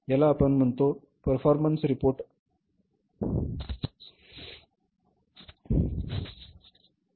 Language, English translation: Marathi, This is what we call as the say performance reports